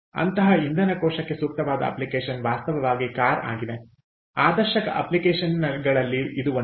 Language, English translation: Kannada, an ideal application for such a fuel cell is actually cars, one of the ideal applications